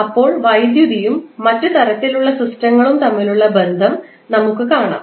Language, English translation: Malayalam, Then, we will see the relationship between electricity and the other type of systems